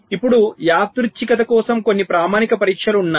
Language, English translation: Telugu, now there are some standard test for randomness